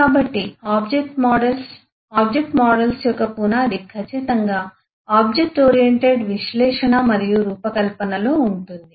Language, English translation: Telugu, so the object models, the foundation of eh object models eh certainly is in object oriented in analysis and design